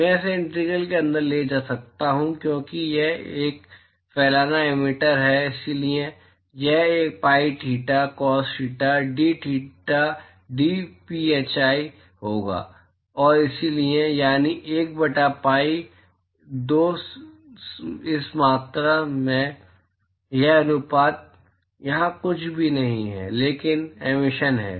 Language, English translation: Hindi, I could take this inside the integral because it is a diffuse emitter and so, it will be sin theta cos theta dtheta dphi and so, that is 1 by pi by 2 this quantity this ratio here is nothing, but the emissivity